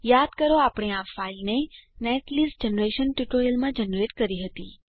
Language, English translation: Gujarati, Please recall that we had generated this file in the netlist generation tutorial